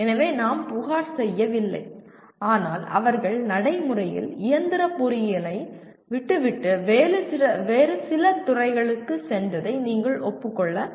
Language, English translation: Tamil, So we do not complain but you have to acknowledge that they have left practically the mechanical engineering and went into some other discipline